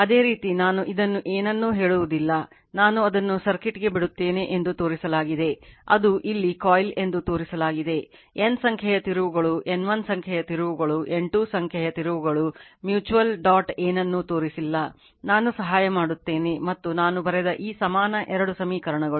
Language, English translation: Kannada, Similarly this one I will not tell you anything this I leave it to you a circuit is shown right that you are that is coil here you have N number of turns a N 1 number of turns, N 2 number of turns mutual dot nothing is shown something you put, I am aided something and all this equal two equations I have written right